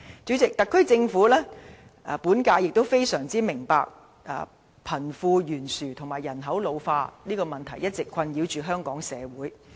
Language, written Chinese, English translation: Cantonese, 主席，本屆特區政府相當明白貧富懸殊和人口老化的問題一直困擾香港社會。, President the present SAR Government well understand the troubles caused by the wealth gap and an ageing population to society all along